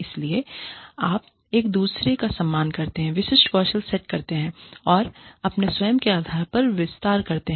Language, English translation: Hindi, So, you respect each other, specific skill sets, and expand your own base